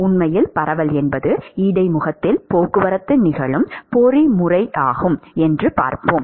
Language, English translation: Tamil, And in fact, we will see why diffusion is the mechanism by which the transport actually occurs at the interface